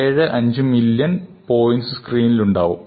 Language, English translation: Malayalam, 75 millions points on the screen